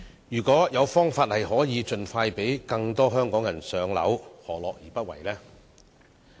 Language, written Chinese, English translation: Cantonese, 如果有方法盡快讓更多香港人"上樓"，何樂而不為呢？, So what is the rationale for not allowing more Hong Kong people to buy their own homes if there is a way to do so?